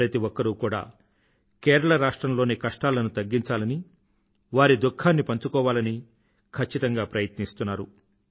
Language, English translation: Telugu, Everyone is trying to ensure speedy mitigation of the sufferings people in Kerala are going through, in fact sharing their pain